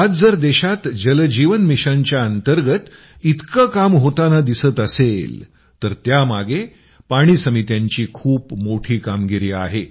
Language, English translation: Marathi, Today, if so much work is being done in the country under the 'Jal Jeevan Mission', water committees have had a big role to play in it